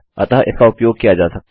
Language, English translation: Hindi, so it can be used